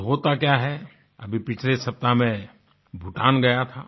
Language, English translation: Hindi, Just last week I went to Bhutan